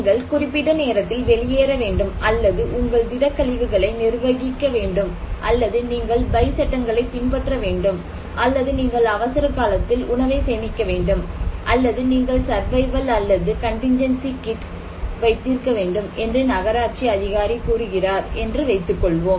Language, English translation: Tamil, let us say, municipal authority, they ask people to follow something like you have to evacuate during certain time or you have to manage your solid waste, you have to follow building bye laws, you have to store food during emergency, or you have to keep survival kit, or contingency kit like that